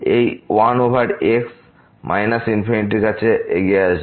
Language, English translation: Bengali, This 1 over will approach to minus infinity